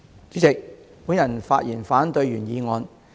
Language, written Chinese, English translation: Cantonese, 主席，我發言反對原議案。, President I speak in opposition to the original motion